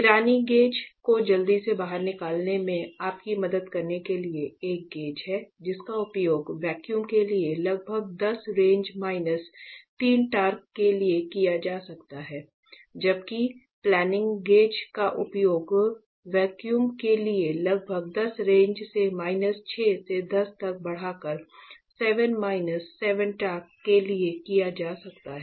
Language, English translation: Hindi, Just to quickly help you out Pirani gauge is a gauge that can be used for a vacuum around 10 raise minus 3 torque; while planning gauge can be used for a vacuum around 10 raise to minus 6 to 10 raised to 7 minus 7 torque